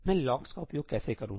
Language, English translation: Hindi, How do I use locks